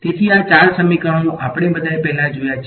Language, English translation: Gujarati, So, these four equations, we have all seen before